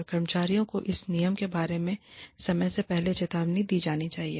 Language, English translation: Hindi, And, employees should be warned ahead of time, about this rule